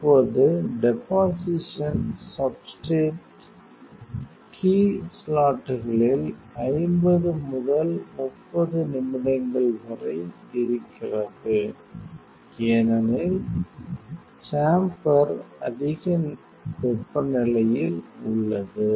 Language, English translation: Tamil, Now deposition substrate key as it is in sometimes some 50 to 30 minutes; because the chamber is at some temperature